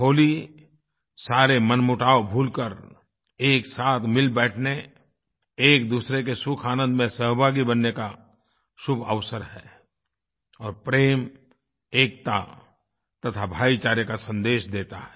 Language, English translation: Hindi, Holi makes us forget our rancours and gives us an opportunity to be a part of each other's happiness and glad tidings, and it conveys the message of love, unity and brotherhood